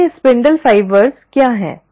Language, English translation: Hindi, Now what are these ‘spindle fibres’